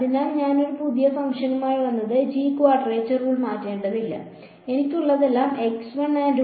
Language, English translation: Malayalam, So, if I come up with a new function g I do not have to change the quadrature rule, all I have